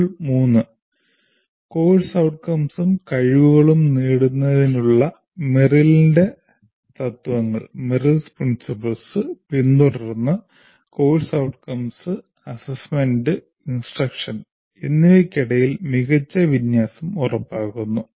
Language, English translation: Malayalam, Module 3, design instruction following Merrill's principles for attaining the course outcomes and competencies, ensuring good alignment between course outcomes, assessment and instruction